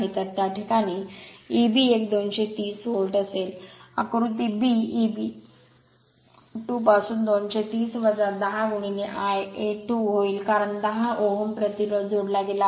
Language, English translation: Marathi, So, in that case your E b 1 will be 230 volt, from figure b E b 2 will be 230 minus 10 into I a 2, because 10 ohm resistance is added